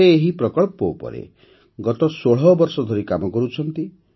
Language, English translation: Odia, She has been working on this project for the last 16 years